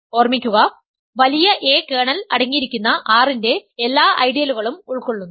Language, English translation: Malayalam, Remember A capital A consists of all ideals of R that contain the kernel